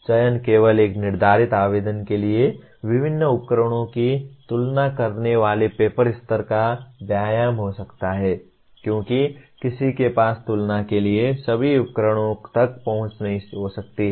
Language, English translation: Hindi, Selection can only be paper level exercise comparing the different tools for a specified application because one may not have access to all the tools for comparison